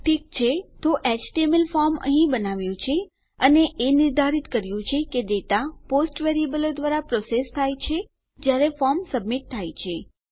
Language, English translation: Gujarati, Okay so we have created our HTML form here and determined that the data has been processed through the POST variable when our form has been submitted